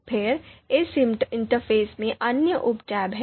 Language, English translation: Hindi, Then, there are other sub tabs in this interface